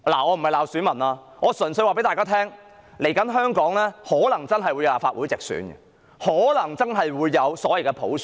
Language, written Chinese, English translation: Cantonese, 我並非罵選民，我只是告訴大家，香港未來可能真的會有立法會直選，可能真的會有所謂的普選。, I am not chiding the electors . I only wish to say to Members that someday Hong Kong might really have direct elections for the Legislative Council and the so - called universal suffrage